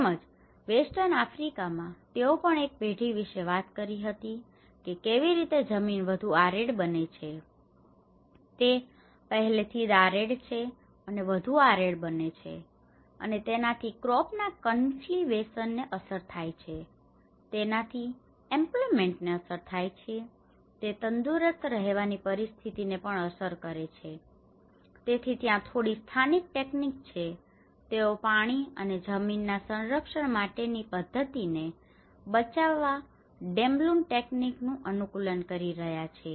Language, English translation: Gujarati, Similarly, in the western Africa, they also talked about in one generation how the land become more arid, it is already arid and becomes more arid, and it has affected the crop cultivation, and it has affected the employment, it has affected even the healthy living conditions there, so that is where even some of the local techniques, they have started adapting the Damloon techniques of conserving water and soil conservation methods